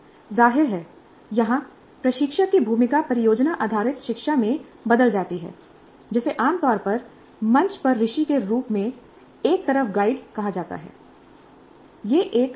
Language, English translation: Hindi, Obviously the role of the instructor here changes in project based learning what is generally called as a stage on the stage to a guide on the side